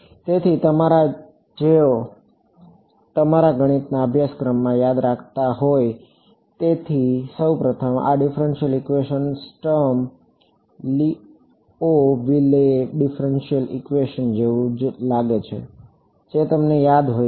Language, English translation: Gujarati, So, first of all those of you who remember from your math courses, this differential equation looks very similar to the Sturm Liouville differential equation if you remember it